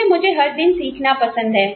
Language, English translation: Hindi, Because, I like learning, every day